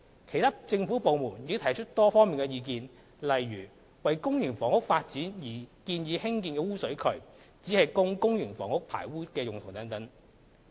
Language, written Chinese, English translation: Cantonese, 其他政府部門亦提出多方面的意見，例如：為公營房屋發展而建議興建污水渠，只供公營房屋排污之用等。, Other government departments had also raised various views eg . the proposed sewerage facility for public housing development just catered for sewage discharged from the public housing